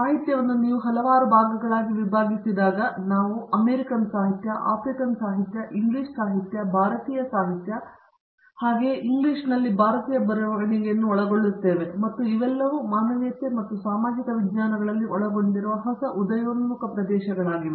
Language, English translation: Kannada, In the traditional area of literature when you divide it into several parts, we cover American literature, African literature, English literature, Indian literature, Indian writing in English and all of these are new emerging areas that have covered in humanities and social sciences